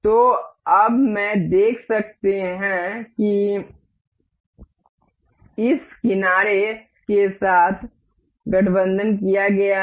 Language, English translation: Hindi, So, now, we can see this is mated with aligned with this edge